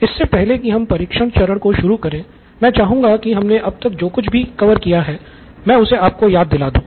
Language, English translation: Hindi, But before we begin on the test phase, I would like to recap what we have covered so far